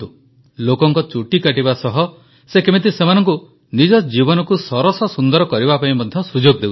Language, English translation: Odia, See how he dresses people's hair, he gives them an opportunity to dress up their lives too